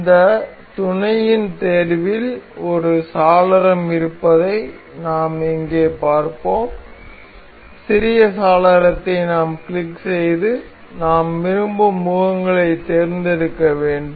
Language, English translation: Tamil, We will see here this mate selections has a window, small window we have to click on that and select the faces we want to do we want to mate